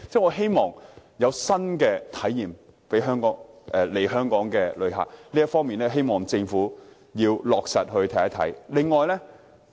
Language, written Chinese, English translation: Cantonese, 我希望能為來港旅客提供新體驗，希望政府落實這方面的政策。, I wish to provide new experiences for our visitors and hope that the Government will implement policies in this regard